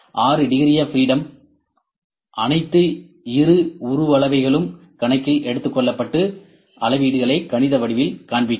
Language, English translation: Tamil, The six degrees of freedom that is all the dimensions all the taken into account, and display the reading is in mathematical form